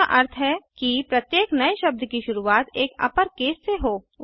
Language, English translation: Hindi, * Which means each new word begins with an upper case